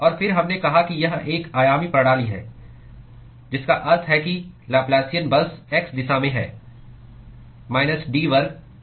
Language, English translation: Hindi, And then we said it is one dimensional system, which means that the Laplacian is simply in the x direction d square T by d x square